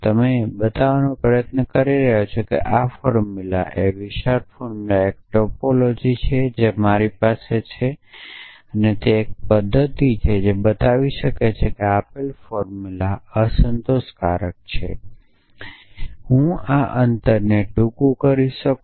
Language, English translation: Gujarati, You are trying to show that this formula this larger formula is a topology what I have with me is a method which can show that a given formula is unsatisfiable can I brief this gap is not it